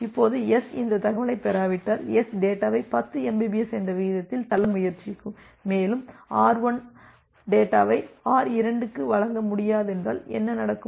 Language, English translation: Tamil, Now if S does not get this information, S will try to push the data at a rate of 10 mbps and what will happen that R1 will not be able to deliver the data to R2 and so on